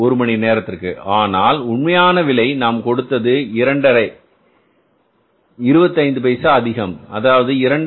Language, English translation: Tamil, 25 rupees per hour and our actual rate paid was again more by 25 pesos that is 2